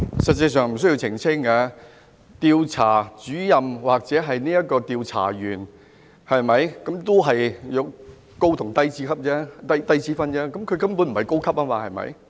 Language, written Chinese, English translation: Cantonese, 實際上不需要澄清，調查主任或調查員只是高低級之分，他根本不是高級，對嗎？, Practically speaking clarification is not warranted . If the Investigator or a general investigator is not of senior rank he is of junior rank . He basically was not of senior rank right?